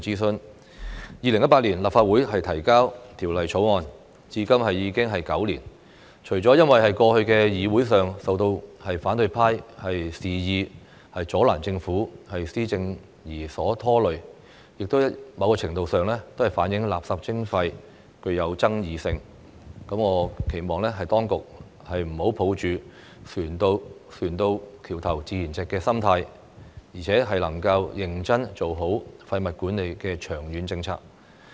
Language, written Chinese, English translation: Cantonese, 政府於2018年向立法會提交《2018年廢物處置條例草案》，至今歷時9年，除了因為過去在議會上受到反對派肆意阻攔政府施政而被拖累，某程度亦反映垃圾徵費具有爭議性，我期望當局不要抱着船到橋頭自然直的心態，而是能夠認真做好廢物管理的長遠政策。, It has already taken nine years . Apart from being delayed by the oppositions reckless obstruction of the policy implementation of the Government in this Council in the past it somewhat reflects that waste charging is a controversial issue . I hope the authorities will not assume that everything will work out in the end but can formulate a long - term waste management policy seriously and properly